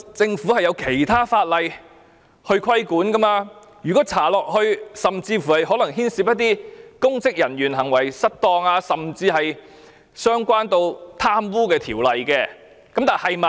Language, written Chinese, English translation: Cantonese, 政府受法例規管，如果調查下去，甚至可能會牽涉一些公職人員行為失當，關係到貪污的問題。, The Government is regulated by law . If investigation continues it may even involve the misconduct and corruption of some public officers